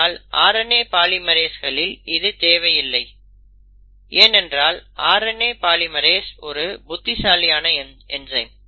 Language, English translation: Tamil, That is not required in case of RNA polymerases, in that sense RNA polymerase is a smarter enzyme